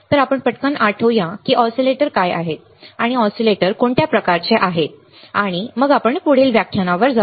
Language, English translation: Marathi, So, let us quickly recall what are the oscillators, and what are the kind of oscillators, and then we will we will move to the noise ok